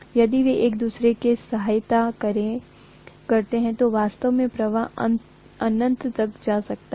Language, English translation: Hindi, If they aid each other, the flux could have really gone to infinity